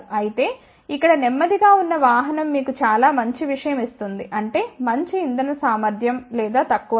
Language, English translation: Telugu, Whereas, a slow vehicle over here will give you a very good thing; that means, maybe a better fuel efficiency or a lower price